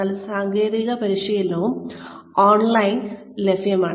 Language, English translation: Malayalam, But then, technical training is also available online